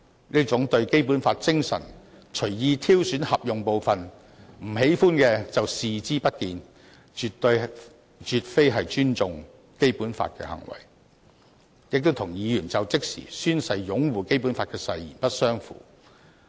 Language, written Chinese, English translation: Cantonese, 這樣對《基本法》精神隨意挑選合用部分，不喜歡的就視而不見，絕非尊重《基本法》的行為，亦與議員就職時宣誓擁護《基本法》的誓言不相符。, They wilfully select to quote the part they deem useful from this explanation of the spirit of the Basic Law but ignore the part they dislike . This is by no means respectful to the Basic Law and is inconsistent with Members vow to uphold the Basic Law as part of the oath taken by them when assuming office